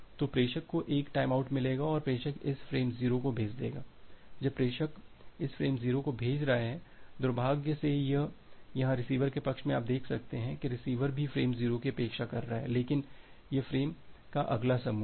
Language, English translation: Hindi, So, sender will get a timeout and sender will send this frame 0 so, when the sender is sending this frame 0 unfortunately here in the receiver side you can see the receiver is also expecting frame 0, but that is the next group of frame